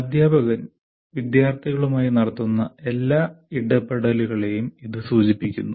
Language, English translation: Malayalam, It refers to all the interactions teachers have with the students